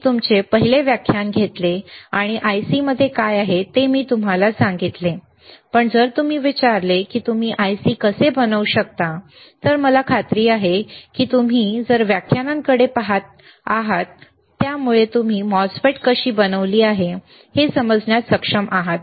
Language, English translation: Marathi, I took your first lecture and I told you what is within the IC, but, but you if you if I ask you, how you can fabricate the IC, I am sure now because of the because of the lectures that you have been looking at, you are able to understand how MOSFET is fabricated